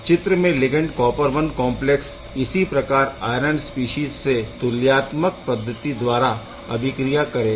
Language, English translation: Hindi, So, this ligand copper I complexes can react once again similar to the iron species in an equivalent manner